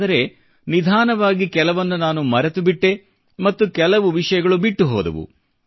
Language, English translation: Kannada, But gradually, I began forgetting… certain things started fading away